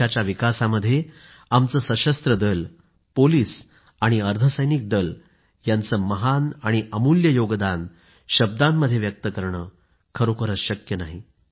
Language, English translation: Marathi, One falls short of words in assessing the enormous contribution of our Armed Forces, Police and Para Military Forces in the strides of progress achieved by the country